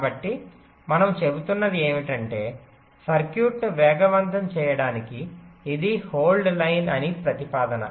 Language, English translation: Telugu, so what we are saying is that to speed up the circuit, what the proposal is, that this was the hold line